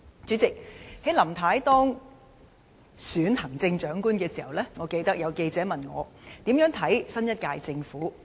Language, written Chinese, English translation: Cantonese, 主席，在林太當選行政長官時，我記得有記者問我對新一屆政府的看法。, President when Mrs LAM was elected Chief Executive I remember that a reporter asked me about my views on the new government